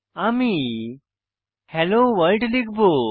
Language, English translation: Bengali, I will type hello world